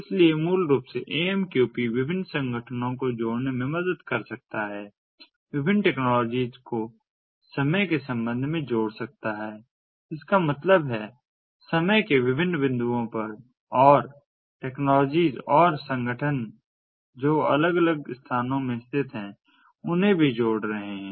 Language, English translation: Hindi, so basically, amqp can help in connecting different organizations, connecting different technologies, connecting different organizations with respect to time that means at different points of time and the technologies and the organizations that are located in different locations connecting them as well